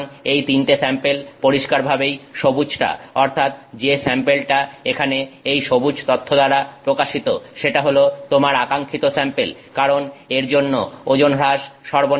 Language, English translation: Bengali, So, in this, these three samples, clearly the green one, the sample that is represented by this, the green data here is your desired sample because it is having less weight loss, right